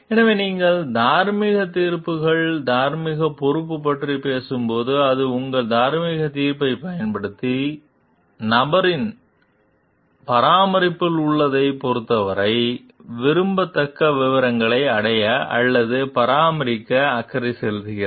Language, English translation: Tamil, So, when you talking of moral judgments, moral responsibility, it is using your moral judgment and to care to achieve or maintain a desirable state of affairs, to with regard to whatever is in the person s care